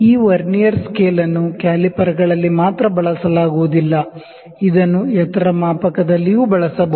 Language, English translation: Kannada, This Vernier caliper, the Vernier scale is not only used in the calipers, it can also be used in height gauge